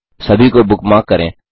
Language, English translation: Hindi, * Bookmark all of them